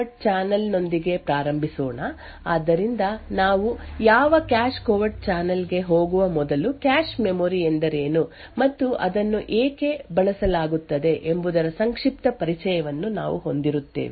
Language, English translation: Kannada, So, let us start with a cache covert channel so before we go into what cache covert a channel is we will have a brief introduction to what a cache memory is and why it is used